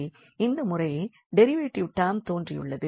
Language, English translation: Tamil, And this derivative time derivative term has appear